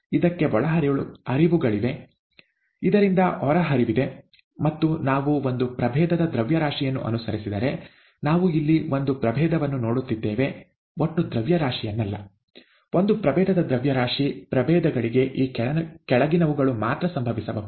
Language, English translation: Kannada, There are inputs to this, there are output streams from this, and therefore, if we follow the mass of a species; we are looking at a species here, not total mass here; mass of a species, only the following can happen to the species